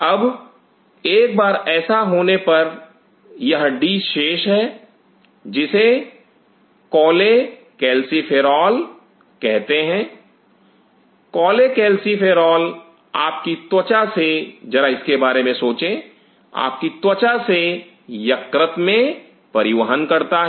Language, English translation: Hindi, Now once that happens this is remaining d which is also called cholecalciferol, cholecalciferol from a, from your skin just think of it, from your skin is transported to the liver